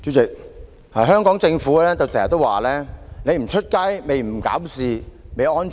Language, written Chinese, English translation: Cantonese, 主席，香港政府經常說你不出街，你不搞事，你便會安全。, President the Hong Kong Government often stresses that people will be safe as long as they do not set foot outdoor and make troubles